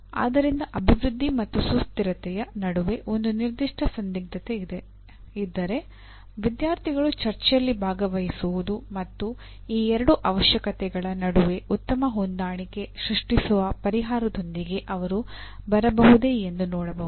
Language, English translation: Kannada, So if a particular, this dilemma that exist between development and sustainability the students can participate in a debate and see whether they can come with a solution that creates the best compromise between the two requirements